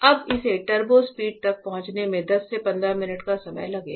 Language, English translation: Hindi, If it will take time for reaching the turbo speed 10 to 15 minutes